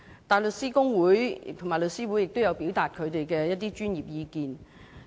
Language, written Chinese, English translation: Cantonese, 大律師公會及香港律師會亦有表達他們的專業意見。, The Hong Kong Bar Association HKBA and The Law Society of Hong Kong also expressed their professional opinions